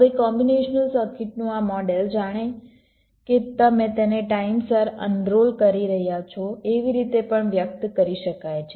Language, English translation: Gujarati, this model of a combination circuit can also be expressed as if you are un rolling it in time